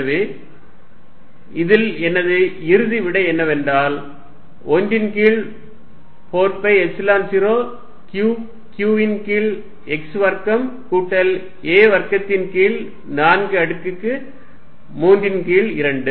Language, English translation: Tamil, Then force F1 if you got out of 1 over 4 pi epsilon 0 q q over x square plus a square by 4 raise to 3 by 2 x x minus a by 2 y